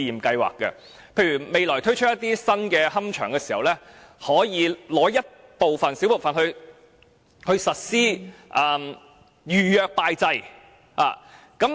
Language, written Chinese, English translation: Cantonese, 例如未來推出新龕場時，可以撥出一小部分地方實施預約拜祭。, For example in developing a new columbarium in the future a small area can be designated for people to pay tribute by booking in advance